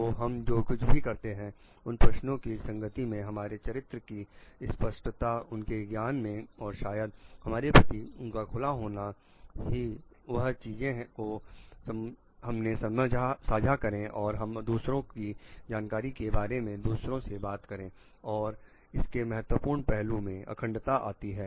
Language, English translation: Hindi, So, that what whatever we do in that question consistency of our character the clarity of her knowledge and maybe openness of us to share things with others knowledge with others and integrity comes to be important aspect of it